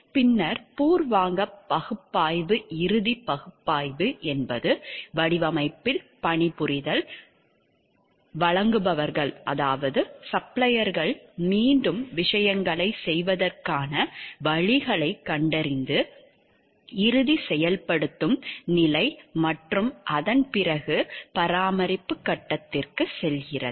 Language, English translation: Tamil, Then the preliminary analysis, final analysis, then working on that design, finding out suppliers, finding out the ways of doing things again and the final implementation stage and after that going for the maintenance phase